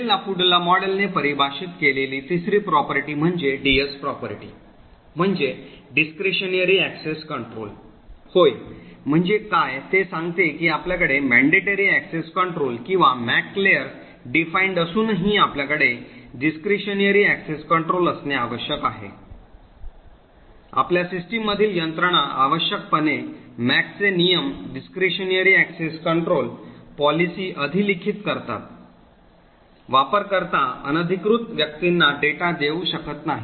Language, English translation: Marathi, The third property which the Bell LaPadula model defines is the DS property which stands for Discretionary Access control, so what it say is that even though you have a mandatory access control or a MAC layer defined, nevertheless you should still have a discretionary access control mechanism in your system, essentially the MAC rules overwrite the discretionary access control policies, a user cannot give away data to unauthorised persons